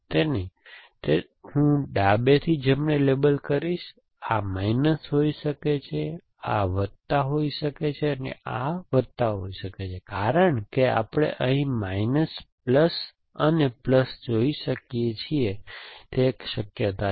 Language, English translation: Gujarati, So, I will label it from left to right, it can label, this can be minus, this can be plus and this can be plus, as we can see here minus plus and plus that is one possibilities or it can be matter on